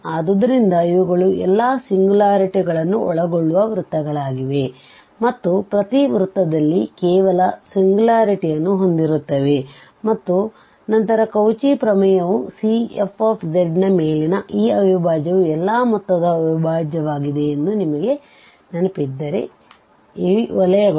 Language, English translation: Kannada, So, these are the circles which encloses all these singularities, and having only one singularities in each circle and then by the Cauchy Theorem if you remember that this integral over the C f z is nothing but the integral of the sum of all these circles